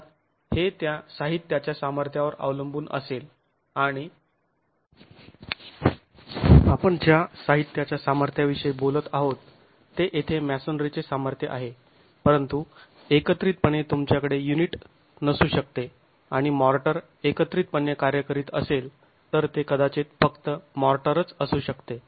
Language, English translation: Marathi, Of course that is going to be dependent on the material strength and the material strength that we are talking about here is the strength of masonry but at a joint you might not have the unit and the motor acting together it might simply be the motor in a joint so it could even be the motor compressive strength